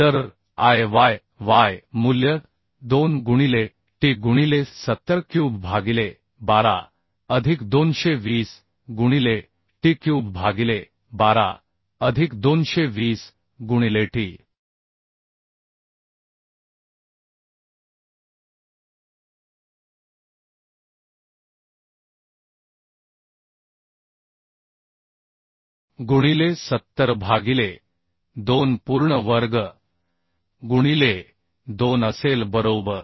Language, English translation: Marathi, Similarly Iyy value also can be calculated so Iyy value will be 2 into t into 7 cube by 12 plus 220 into t cube by 12 plus 220 into t into 70 by 2 whole square into 2 right